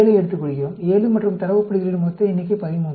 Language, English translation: Tamil, 7, and the total number of data points is 13